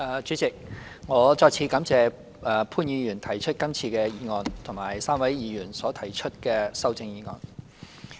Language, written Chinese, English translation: Cantonese, 主席，我再次感謝潘兆平議員動議這項議案及3位議員所提出的修正案。, President I once again thank Mr POON Siu - ping for moving this motion and the three Members for moving the amendments